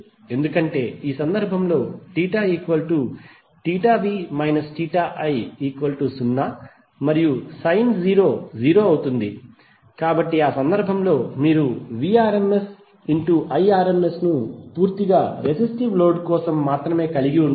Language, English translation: Telugu, Because in this case theta v minus theta i will become 0 and sin 0 will be 0, so in that case you will have Vrms Irms only the term for purely resistive load